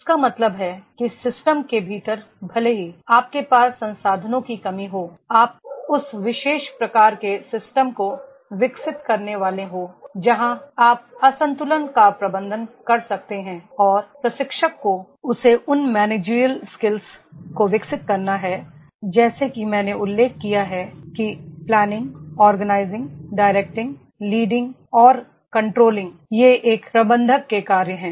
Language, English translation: Hindi, It means that there within the system even if you are having a short of resources you are supposed to develop that particular type of the system where you can manage the imbalances and the trainer that he has to develop those managerial skills, as I mentioned that is the planning, organising, directing, leading and controlling, these are the functions of a manager